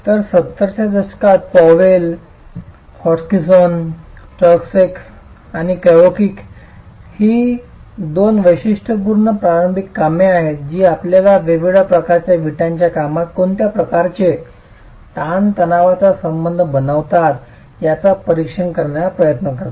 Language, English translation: Marathi, So, work carried out in the 70s, Powell and Hod Hutchinson and turn second Kakowich are two typical initial works that try to examine what sort of a stress strain relationship do you get in different types of brickwork